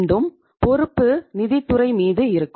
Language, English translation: Tamil, Again, the responsibility will be on the finance department